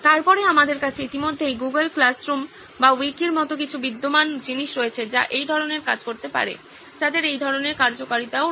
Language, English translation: Bengali, Then we already have few existing products like a Google Classroom or a Wiki which can do this kind of, which have similar kind of functionality as well